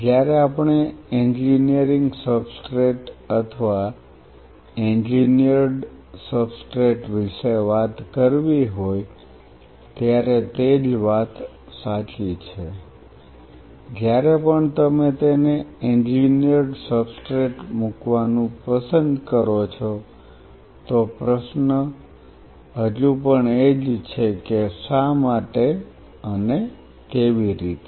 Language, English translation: Gujarati, The same thing holds true when we have to talk about engineering substrate or engineered substrate whichever way you love to put it engineered substrate the question is still the same why and how